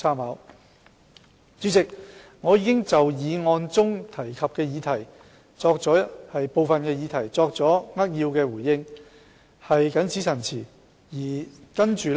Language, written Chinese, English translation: Cantonese, 代理主席，我已就議案提及的部分議題作出扼要回應，謹此陳辭。, Deputy President with these remarks I have given a concise response to some of the topics mentioned in the motion